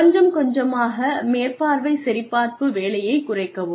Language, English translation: Tamil, Gradually, decrease supervision checking work, from time to time